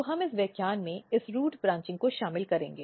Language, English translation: Hindi, So, we will cover this root branching in this lecture